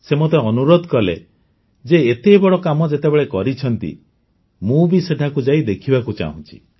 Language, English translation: Odia, He urged me a lot that you have done such a great work, so I want to go there and see